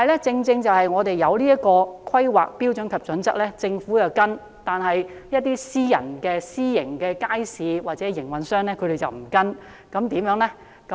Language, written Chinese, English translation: Cantonese, 在訂立了此套《規劃標準與準則》後，政府有跟從，但一些私營街市營運商卻沒有跟從，這樣怎麼辦呢？, After the formulation of the Planning Standards and Guidelines the Government complies with it but some private market operators do not . So what should we do about it?